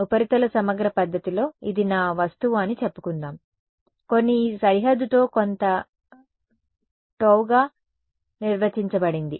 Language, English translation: Telugu, In surface integral method so, let us say this is my a object over here with some with this boundary is defined to be some gamma